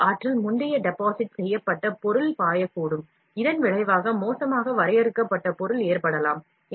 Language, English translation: Tamil, Too much energy may cause the previous deposited material to flow, which in turn may result in poorly defined material